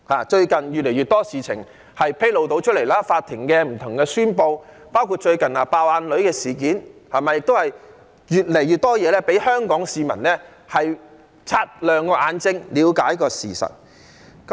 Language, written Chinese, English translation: Cantonese, 最近越來越多事情被披露，法庭近期不同的宣布，包括最近"爆眼女"的事件，越來越多事情令香港市民擦亮眼睛，了解事實。, More and more issues have been revealed recently such as the recent announcements made by the courts and including the case in which a young woman was said to have her eyeball ruptured which is being discussed recently . More and more issues have driven the people of Hong Kong to sharpen their eyes and look at the facts